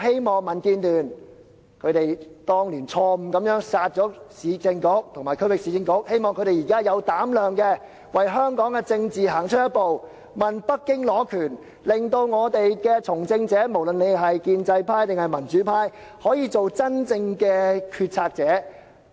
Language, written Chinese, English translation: Cantonese, 民建聯當年錯誤"殺"了市政局和區域市政局，我希望他們現在有膽量為香港的政治行出一步，要求北京下放權力，令從政者，不論是建制派或民主派，均可做真正的決策者。, Back then the DAB had the former Urban Council and Regional Council scrapped by mistake I hope they now have the courage to take a step forward for the politics in Hong Kong by requesting Beijing to exercise power devolution so that people engaging in politics be they in the pro - establishment camp or the democratic camp may truly act as decision makers